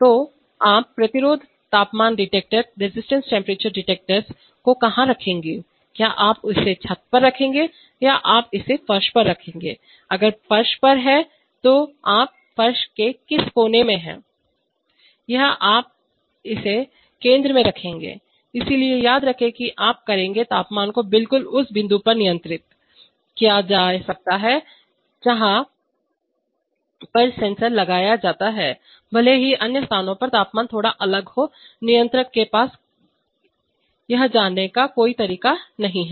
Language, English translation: Hindi, So where will you put the resistance temperature detector will you put it on the ceiling or will you put it on the floor, if it is on the floor which corner of the floor or would you put it in the center, so remember that you will be controlling the temperature at exactly the point where the, where the sensor is put even if the temperatures at the other places are slightly different the controller has no way of knowing that